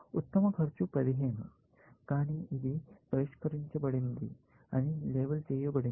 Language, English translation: Telugu, The best cost is 15, but this is labeled solved